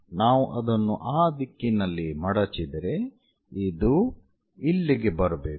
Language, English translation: Kannada, If we are folding it in that direction is supposed to come here